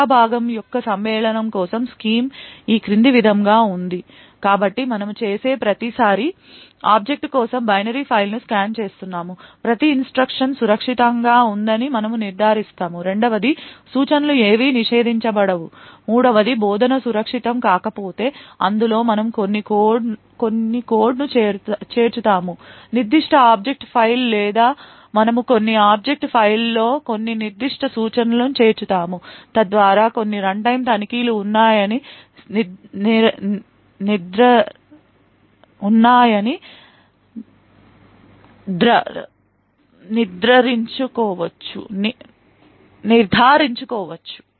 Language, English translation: Telugu, The scheme for Segment Matching is as follows so what we do is every time we scan the binary file for the object we ensure that every instruction is safe secondly none of the instructions are prohibited third if the instruction is unsafe then we add some code into that particular object file or we add some certain instructions into that object file, so as to ensure that there is some runtime checks